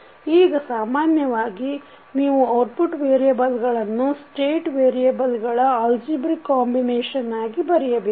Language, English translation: Kannada, Now, in general, you will write output variable as algebraic combination of this state variable